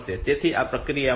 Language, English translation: Gujarati, So, this process will this M 6